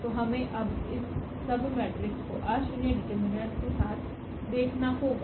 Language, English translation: Hindi, So, we have to see now this submatrix with nonzero determinant